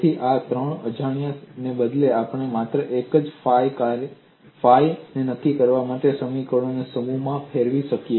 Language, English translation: Gujarati, So, instead of three unknowns, we would modify the set of equations to determine only one function phi